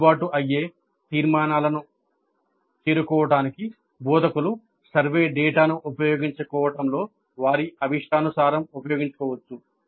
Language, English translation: Telugu, Instructors can use their discretion in making use of the survey data to reach valid conclusions